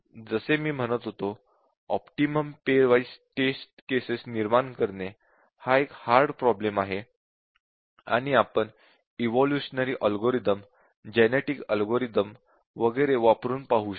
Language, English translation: Marathi, As I was saying that generating the optimum number of pair wise test cases is a very, very hard problem and we can try out evolutionary algorithms, genetic algorithms and so on